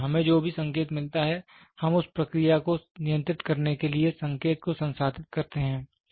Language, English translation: Hindi, So, whatever signal we get we process the signal to control the process